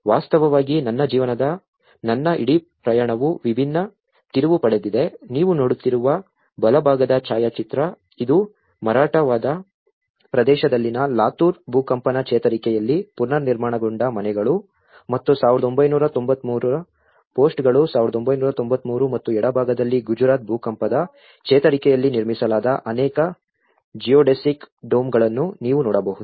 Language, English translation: Kannada, In fact, where my whole journey of my life has taken a different turn, the right hand side photograph which you are seeing, which is the reconstructed houses in the Latur Earthquake recovery in the Marathwada region and 1993 posts 1993 and on the left hand side you can see many of the Geodesic Domes constructed in Gujarat Earthquake recovery